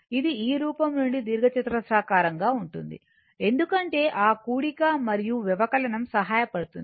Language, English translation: Telugu, This is a rectangular form this form because for that addition and subtraction will be helpful, right